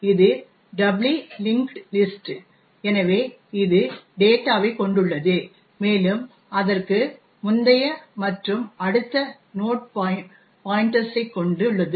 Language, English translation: Tamil, h, this is a doubly linked list, so it has the data and it has the previous and the next node pointers